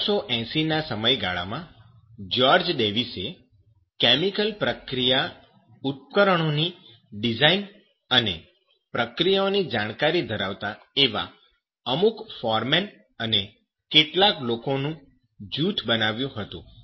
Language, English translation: Gujarati, In 1880, George Davis, so at that period, he just made a group of those foremen and some persons who know that chemical process equipment design as well as the reactions